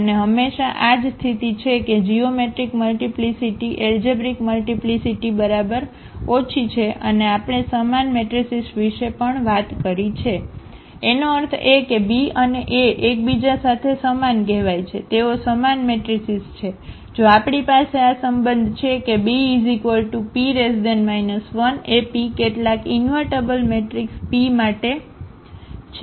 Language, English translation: Gujarati, And always this is the case that geometric multiplicity is less than equal to the algebraic multiplicity and we have also talked about the similar matrices; that means, B and A are called the similar to each other they are the similar matrices, if we have this relation that B is equal to P inverse AP for some invertible matrix P